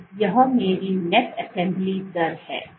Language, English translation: Hindi, So, this is my net assembly rate